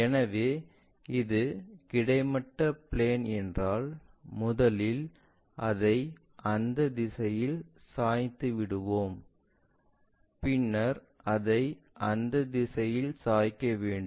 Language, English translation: Tamil, So, if this is the horizontal plane, first we have tilted it in that direction then we want to tilt it in that direction